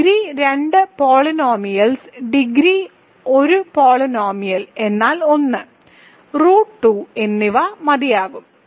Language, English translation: Malayalam, But actually just degree two polynomials degree one polynomial means 1 and root 2 will suffice